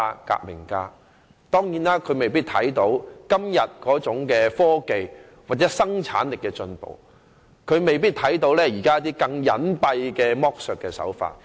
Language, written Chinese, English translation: Cantonese, 他沒有看到今天在科技或生產力上的進步，亦未必能預見現時一些更加隱蔽的剝削手法。, I would also like to talk about this philosopher and revolutionary two centuries ago He did not see the current progress in technology or productivity nor might he be able to foresee some more hidden tactics of exploitation nowadays